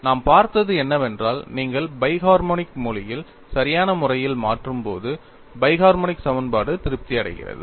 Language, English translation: Tamil, And what we looked at was when you substitute these appropriating in the bi harmonic, the bi harmonic equation is satisfied